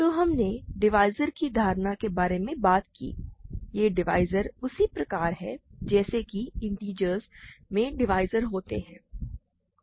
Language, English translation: Hindi, So, we talked about the notion of divisors, just like we have the notion of divisors in integers we have divisors